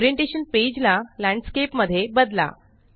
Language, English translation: Marathi, Now change the page orientation to Landscape